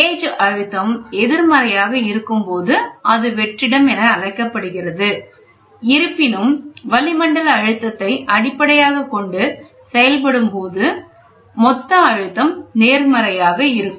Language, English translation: Tamil, So, when the gauge pressure is negative it is called as vacuum; however, atmospheric pressure serves as a reference and absolute pressure is positive